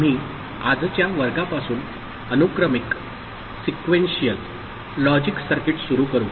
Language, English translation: Marathi, We shall begin Sequential Logic Circuit from today’s class